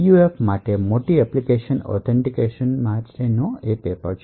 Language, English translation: Gujarati, A major application for PUFs is for authentication